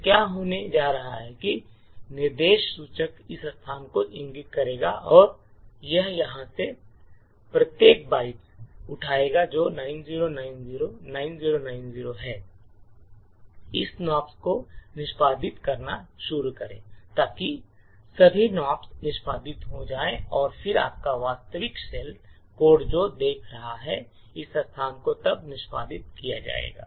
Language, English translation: Hindi, So what is going to happen is that the instruction pointer would point to this location and it would pick up each byte from here this is 90909090 and start executing this Nops so all of this Nops gets executed and then your actual shell code which is staring at this location would then get executed